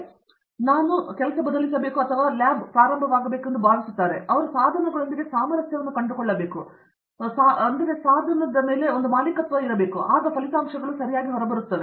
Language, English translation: Kannada, But, I think that has to change and they should start getting, they should kind of find a unison with the equipment, only then the results will come out